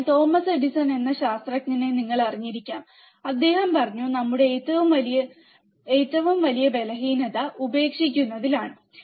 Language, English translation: Malayalam, So, you may be knowing the scientist Thomas Edison, and he said that our greatest weakness lies in giving up